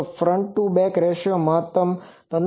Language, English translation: Gujarati, So, front to back ratio maximum is 15